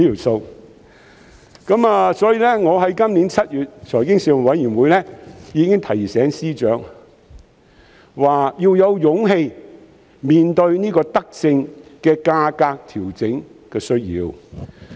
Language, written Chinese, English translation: Cantonese, 所以，我已在去年7月的財經事務委員會會議上提醒司長，指出要有勇氣面對這項德政的價格調整需要。, Therefore at the Panel on Financial Affairs meeting in July last year I reminded the Financial Secretary that he should have the courage to face the fare adjustment need concerning this benevolent measure